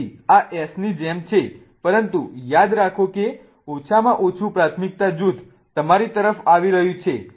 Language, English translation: Gujarati, Now, this also looks like S but remember the least priority group that is hydrogen is coming towards you